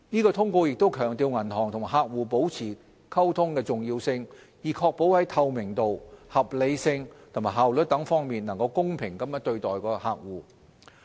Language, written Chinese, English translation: Cantonese, 該通告亦強調銀行與客戶保持溝通的重要性，以確保在透明度、合理性和效率等方面能夠公平對待其客戶。, The circular also emphasizes the importance for banks to maintain communication with customers to ensure that they are treated fairly particularly in respect of transparency reasonableness and efficiency